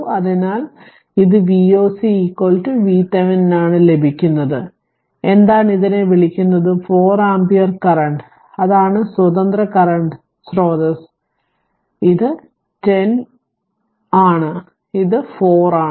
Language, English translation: Malayalam, So, this is for V o c is equal to V Thevenin you can get this is this is your what you call that your 4 ampere current, that is the independent current source and this is 10 ohm and this is 4 ohm right